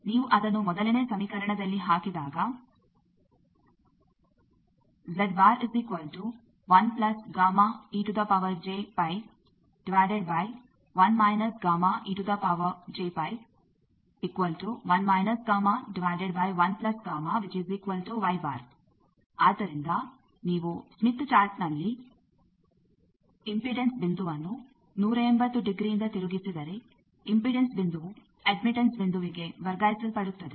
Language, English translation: Kannada, So, the take away from this slide is if you rotate the impedance point on the smith chart by 180 degree impedance point get transferred to an admittance point